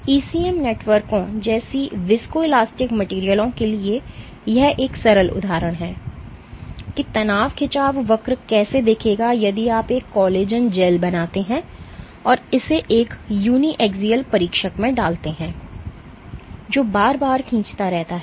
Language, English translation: Hindi, For viscoelastic materials like ECM networks, this is a simple example of how the stress strain curve would look if you make a collagen gel and put it in a uniaxial tester which kind of keeps on pulling it repeatedly